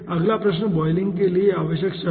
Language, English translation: Hindi, next question: necessary condition for boiling